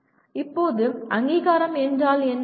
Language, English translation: Tamil, Now, what is accreditation